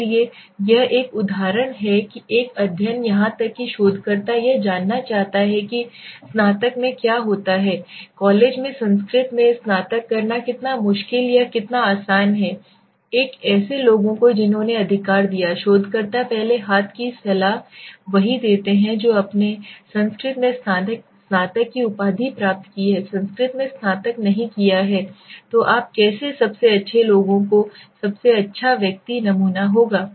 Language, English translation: Hindi, So this are the example a study even the researcher wants to know what it takes to the graduate how difficult or how easy it is to graduate in Sanskrit in college right a people who gave the researcher first hand advice are the ones who have done in graduation in Sanskrit, suppose if you have not done the graduation in Sanskrit how would you be the best people the best person to answer it